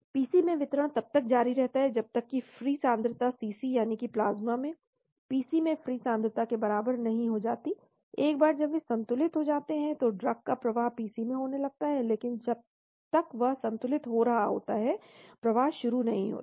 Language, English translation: Hindi, Distribution into the PC continues until the free concentration in the CC that is plasma is equal to the free concentration in the PC, once they get equilibrated flow of the drug into the PC happens, but once that equilibrates flow does not happen